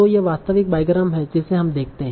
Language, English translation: Hindi, This is the actual bygrams that we see